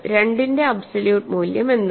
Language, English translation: Malayalam, What is the absolute value of 2